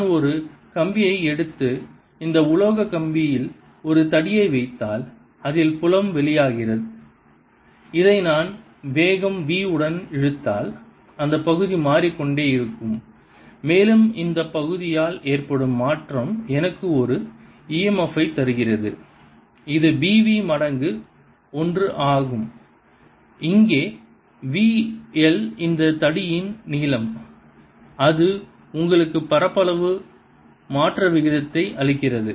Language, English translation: Tamil, if i take a wire and put a rod on this metallic rod in which the field is coming out, and i pull this with velocity v, then the area is changing and this change in area gives me an e m f which is equal to b v times l, where l is the length of this rod, v l gives you the rate of change of area and the direction of current is going to be such that it changes